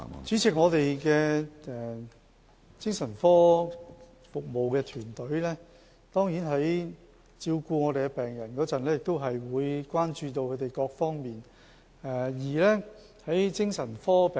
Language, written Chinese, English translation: Cantonese, 主席，我們的精神科服務團隊在照顧病人的時候，當然會關注他們各方面的需要。, President in caring for psychiatric patients our psychiatric services team will certainly take their various needs into account